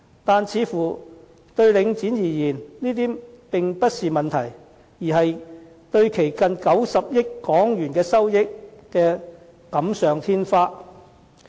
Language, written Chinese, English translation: Cantonese, 可是，對領展而言，這些似乎並不是問題，而是為其近90億港元收益錦上添花。, Yet to Link REIT all these are not problems but extra blessings to its revenue of close to HK 9 billion